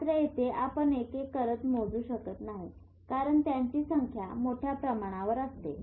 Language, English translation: Marathi, Here you can't measure one by one because it's in such a vast scale